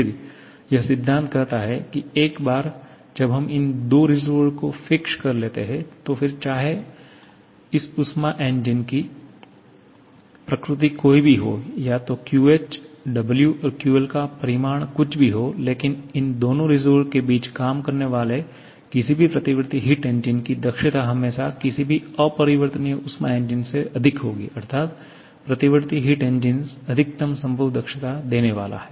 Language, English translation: Hindi, Then, it is saying that once we have fixed up these 2 reservoirs, then whatever may be the nature of this heat engine, whatever may be the magnitude of QH, W and QL, the efficiency of any reversible heat engine working between these 2 reservoirs will always be greater than any irreversible heat engine that is a reversible heat engine is going to give the maximum possible efficiency